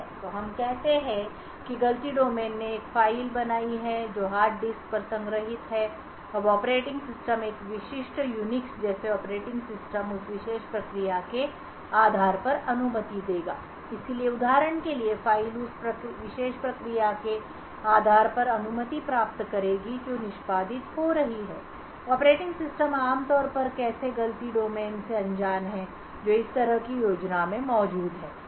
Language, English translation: Hindi, So let us say that one fault domain has created a file which is stored on the hard disk, now the operating system a typical Unix like operating system would give permissions based on that particular process, so the file for example will obtain permissions based on that particular process that is executing, the operating system typically is actually unaware of such fault domains that are present in such a scheme